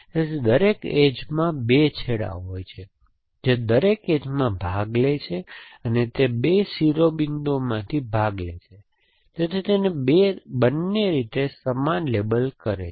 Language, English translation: Gujarati, So, every edge has 2 ends it participates in every edge participates in 2 vertices, so it participate it must be label does a same in both the ways